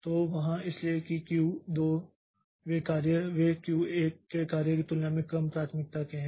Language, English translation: Hindi, So, so that way the jobs of Q2 they are of lower priority than jobs of Q1